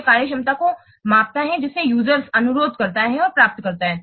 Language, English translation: Hindi, It measures functionality that the user request and receives